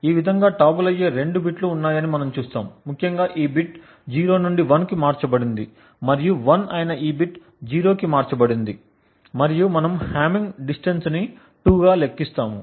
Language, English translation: Telugu, Thus, we see that there are two bits that get toggled, essentially this bit 0 has changed to 1 and this bit which is 1 has changed to 0 and we compute the hamming distance to be 2